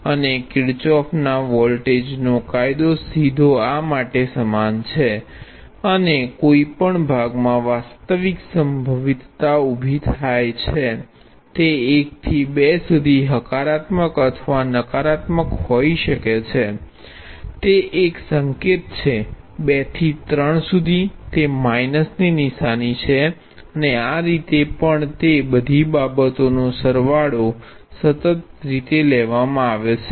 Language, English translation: Gujarati, And Kirchhoff’s voltage law is directly analogous to this, and the actual potential arise in any part could be either positive or negative from 1 to 2, it is a one sign; from 2 to 3, it is a opposite sign and so on, but the sum of all of those things taken in a consistent way is 0